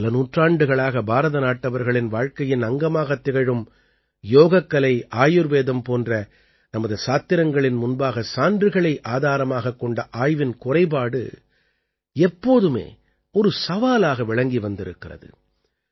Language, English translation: Tamil, Lack of evidence based research in the context of our scriptures like Yoga and Ayurveda has always been a challenge which has been a part of Indian life for centuries results are visible, but evidence is not